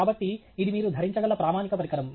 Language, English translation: Telugu, So, this is a standard thing that you can wear